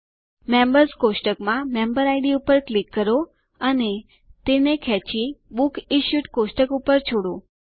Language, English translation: Gujarati, Click on the Member Id in the Members table and drag and drop it in the Books Issued table